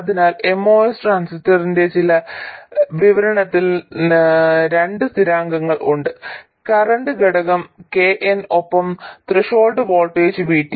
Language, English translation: Malayalam, So there are two constants in this description of the most transistor, the current factor, KN and the threshold voltage VT